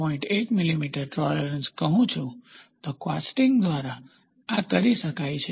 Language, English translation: Gujarati, 1 millimeter maybe, this can be done by casting